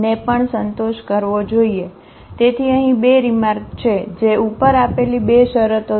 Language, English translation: Gujarati, So, here 2 remarks, one the 2 conditions given above